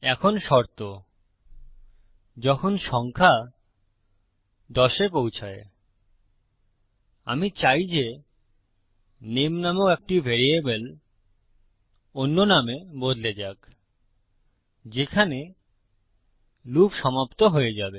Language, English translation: Bengali, Now the condition when the number reaches 10, I want a variable called name, to be changed to another name in which the loop will stop